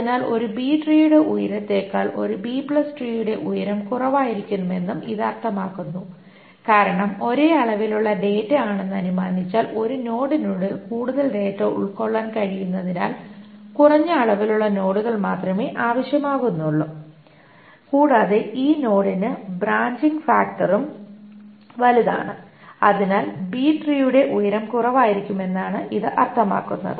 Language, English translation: Malayalam, So which also means that height of a B plus tree can be lesser than that of a height of a B tree because assuming the same amount of data, since more amount of data can be fit within a node, less amounts of nodes are required and the branching factor is also larger for this node